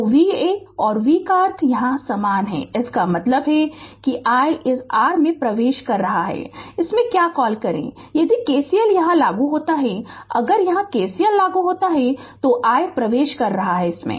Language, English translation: Hindi, So, V and V meaning is same here right so; that means, that this i is entering into that your what you call into this if you apply KCL here, if you apply KCL here then i is entering